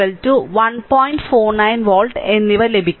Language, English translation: Malayalam, 491 volt right